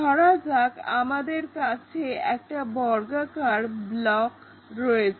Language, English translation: Bengali, For example, if we might be having some square block